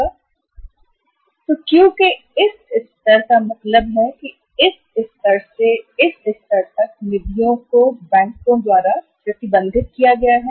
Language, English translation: Hindi, So this level of the Q, so it means from this level to this level the funds have been say restricted by the banks